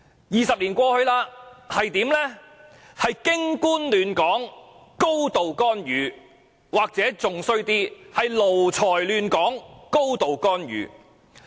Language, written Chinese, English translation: Cantonese, 二十年後的今天，卻是"京官亂港"、"高度干預"，甚或更不堪的"奴才亂港"、"高度干預"。, Twenty years have passed today the situation is Beijing officials stirring up trouble in Hong Kong and a high degree of intervention; or worse still lackeys stirring up trouble in Hong Kong and a high degree of intervention